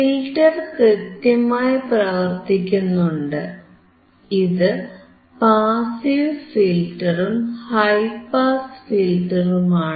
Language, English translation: Malayalam, Filter is working fine, this is passive filter and these high pass filter